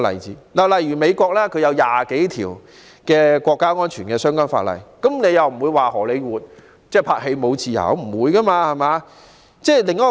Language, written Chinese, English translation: Cantonese, 此外，美國訂有20多項涉及國家安全的法例，但沒有人會說荷里活已失去拍攝電影的自由。, Besides more than 20 pieces of legislation involving national security are now in place in the United States but no one would say that there is no more freedom in Hollywood for film production